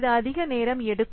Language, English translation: Tamil, It tends to be more time consuming